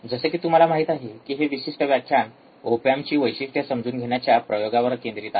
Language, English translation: Marathi, So, as you see that this particular lecture is focused on experiments on understanding op amp characteristics